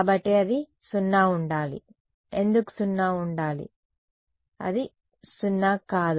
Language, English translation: Telugu, So, it should be 0 why should be 0 that will not be 0